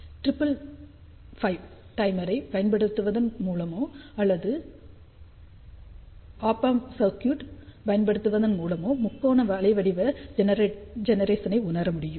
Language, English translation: Tamil, Triangular waveform generation can be realized either using by triple five timer or by using Op amp circuit